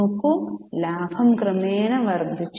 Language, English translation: Malayalam, See the profit has gradually increased